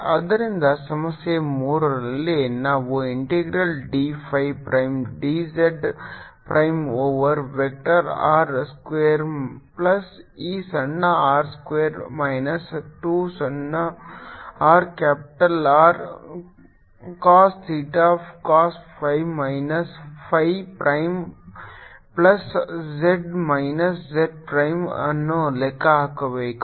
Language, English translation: Kannada, so in problem three we have to calculate the integral d phi prime, d z prime over vector i square plus this small i square minus two small r capital r cost, theta cost phi minus phi prime plus z minus j prime, this pi r j minus z prime